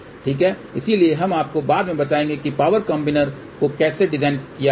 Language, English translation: Hindi, So, we will tell you later on how to design power combiner